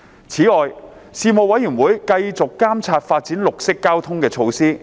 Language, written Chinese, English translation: Cantonese, 此外，事務委員會繼續監察發展綠色交通的措施。, In addition the Panel continued to monitor measures for the development of green transport